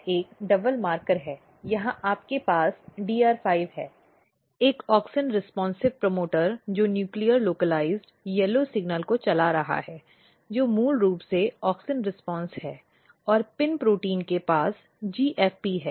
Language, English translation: Hindi, So, this is a double marker here you have DR5 is auxin responsive promoter driving a nuclear localized yellow signal which is basically auxin response and PIN protein has a GFP